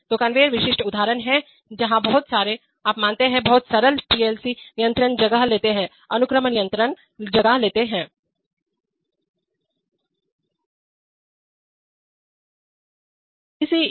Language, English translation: Hindi, So conveyors are typical examples, where a lot of, you know, very simple PLC controls take place, sequence control